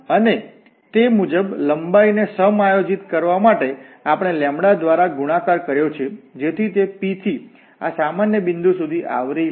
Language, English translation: Gujarati, And we have multiplied here by lambda to adjust the length accordingly, so that it covers from P to this general point